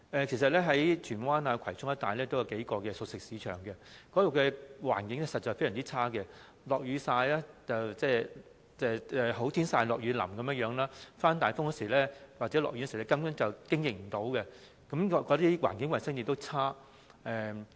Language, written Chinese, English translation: Cantonese, 其實，荃灣及葵涌一帶有數個熟食市場，該處的環境實在非常惡劣，"好天曬，落雨淋"，刮大風或下雨時，根本無法經營，環境衞生情況亦非常惡劣。, In fact there are a few cooked food markets in Tsuen Wan and Kwai Chung where the environment is very poor; they are exposed to the sun and rain . In times of strong wind or heavy rain operation will not be possible and environmental hygiene is also really bad